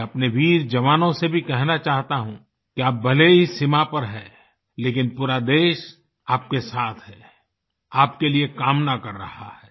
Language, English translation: Hindi, I would also like to assure our brave soldiers that despite they being away at the borders, the entire country is with them, wishing well for them